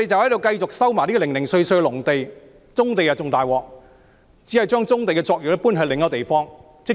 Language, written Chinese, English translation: Cantonese, 要收回棕地則更困難，只是將棕地的作業搬至另一地方。, Brownfield sites are even more difficult to resume as we just move the operations on brownfield sites to another place